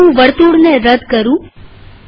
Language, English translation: Gujarati, Let me delete the circle now